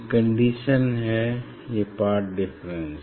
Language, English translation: Hindi, these are the condition these are the path difference